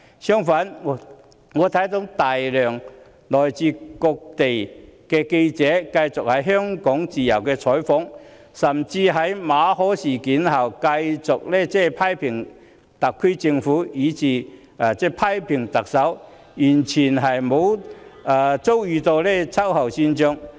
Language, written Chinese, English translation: Cantonese, 相反，來自世界各地的大量記者繼續在香港自由採訪，甚至在馬凱事件後繼續批評特區政府，以至特首，但卻沒有遭受秋後算帳。, On the contrary a large number of journalists from all over the world continue to report freely in Hong Kong; they continue to criticize the SAR Government and the Chief Executive even after the Victor MALLET incident . The authorities have not squared accounts with them